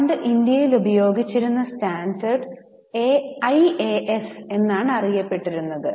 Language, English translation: Malayalam, Now the earlier set of standards which were being used in India were called as AS